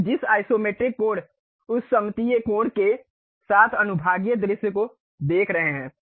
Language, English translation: Hindi, The sectional view with isometric angle we Isometric view we are seeing